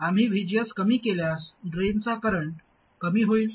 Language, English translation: Marathi, If we reduce VGS, then the drain current will come down